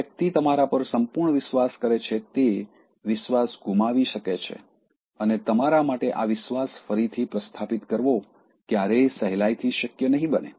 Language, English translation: Gujarati, A person who trusted you like anything, can lose trust and it will be never possible for you to rebuild the trust that easily again